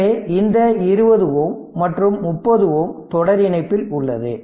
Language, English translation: Tamil, So, as your this 20 ohm and 30 ohm it is in series